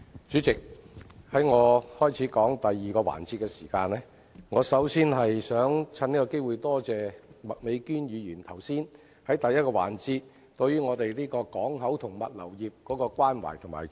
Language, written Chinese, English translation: Cantonese, 主席，在我開始就第二個辯論環節的主題發言前，我想藉此機會感謝麥美娟議員在第一個辯論環節對港口及物流業表達關懷和支持。, President before I begin my speech on the second debate I would like to take this opportunity to thank Ms Alice MAK for expressing her concerns and support for the port and logistics industry during the first debate